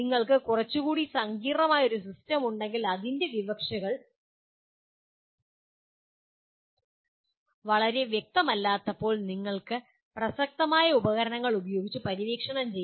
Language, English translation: Malayalam, But if you have a little more complex system that is when the implications are not very obvious you have to explore using whatever relevant tools